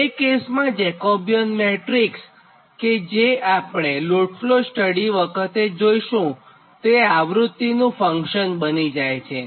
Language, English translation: Gujarati, so in that case that jacobian matrix, whatever will see in the load flow studies, it will become the function of your what you call that frequency